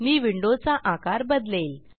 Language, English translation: Marathi, I will resize the window